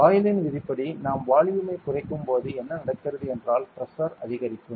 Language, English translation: Tamil, According to Boyle’s law what happens is when we decrease volume pressure will increase ok